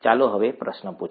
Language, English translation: Gujarati, Now let us ask the question